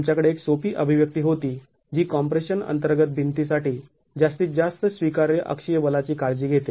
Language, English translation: Marathi, We had a simple expression that takes care of the maximum allowable, the allowable axial force for a wall under compression